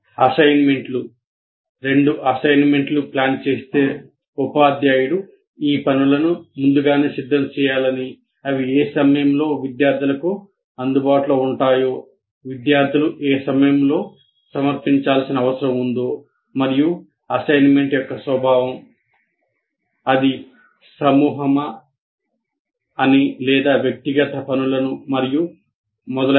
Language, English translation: Telugu, Let's say you are planning to give two assignments and the teacher is expected to prepare these assignments in advance and at what time they would be made available to the students and by what time the students need to submit and the nature of assignments whether it is group or individual assignments and so on